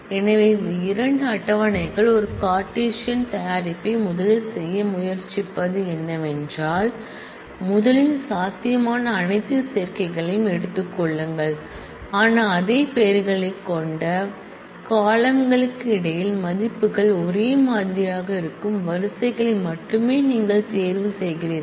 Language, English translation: Tamil, So, it is what it tries to do is it tries to make a Cartesian product of this 2 tables first take all possible combinations, but then you select only those rows where the values are identical between columns having the same name